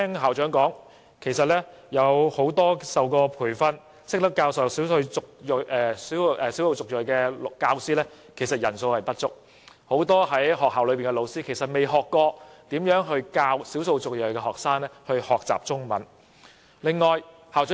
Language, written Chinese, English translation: Cantonese, 校長提到，曾接受培訓並懂得教授少數族裔學生的教師人數不足，學校很多老師其實沒有受過教授少數族裔學生學習中文的培訓。, One problem highlighted by the principal is that there are not enough teachers with the proper training of teaching EM students . In fact many teachers in the school have not received any training on teaching Chinese to EM students